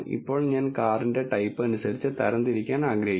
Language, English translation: Malayalam, Now I am want to classified based on the car type